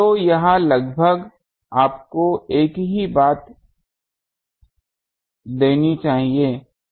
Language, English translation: Hindi, So, this should approximately give you the same thing